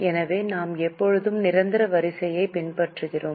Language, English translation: Tamil, So, we always follow the order of permanence